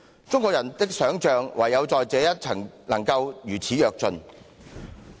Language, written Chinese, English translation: Cantonese, 中國人的想象唯在這一層能夠如此躍進。, This is the sole respect in which the imagination of Chinese people takes such a great leap